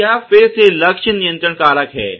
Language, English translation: Hindi, So, this is again target control factors